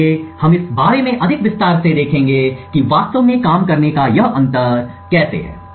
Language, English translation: Hindi, So, we will look more in detail about how this difference of means actually works